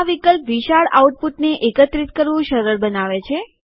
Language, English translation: Gujarati, This option makes it easier to collect large outputs